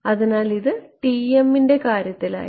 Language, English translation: Malayalam, So, this was in the case of Tm